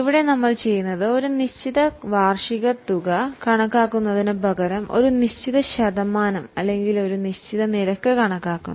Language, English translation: Malayalam, Now here what we do is instead of calculating a fixed annual amount, we calculate a fixed percentage or a fixed rate